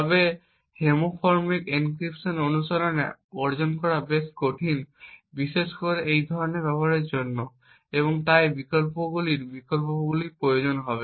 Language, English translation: Bengali, However homomorphic encryption is quite difficult to achieve in practice especially for this kind of uses and therefore we would require alternate options